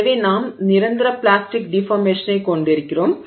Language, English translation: Tamil, So, we are having permanent plastic deformation